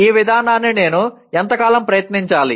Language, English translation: Telugu, How long should I try this approach